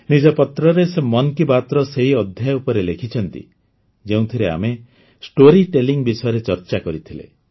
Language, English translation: Odia, In her letter, she has written about that episode of 'Mann Ki Baat', in which we had discussed about story telling